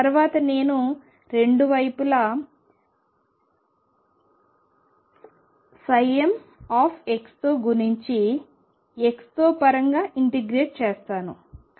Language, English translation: Telugu, Next, let me multiply both sides by psi m star x and integrate over x